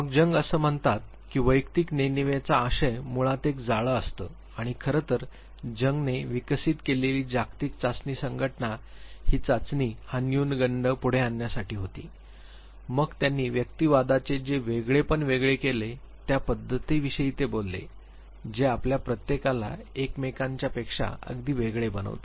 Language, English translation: Marathi, Then Jung says that the content of personal unconscious basically they are complexes and he In fact, the test the world association test that he developed was to bring forth these complexes then he talked about individuation the method by which each of us become very distinct from each other